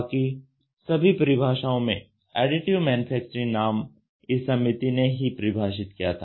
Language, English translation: Hindi, Among other definitions the name Additive Manufacturing was defined by this committee